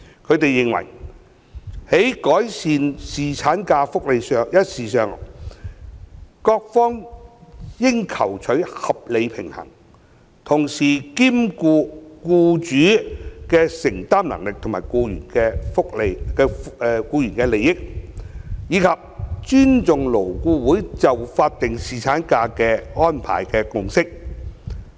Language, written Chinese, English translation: Cantonese, 他們認為，在改善侍產假福利一事上，各方應求取合理平衡，同時兼顧僱主的承擔能力及僱員的利益，以及尊重勞顧會就法定侍產假安排的共識。, They take the view that on the matters related to the enhancement of paternity leave benefits various stakeholders should strike a proper balance having regard to the affordability of employers and the interests of employees and respect the consensus reached in LAB on the statutory paternity leave arrangement